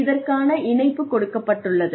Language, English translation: Tamil, The link is given